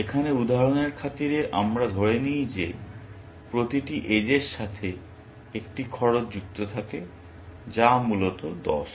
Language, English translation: Bengali, Let us assume for the sake of illustration here, that every edge has a cost associated with it, which is 10, essentially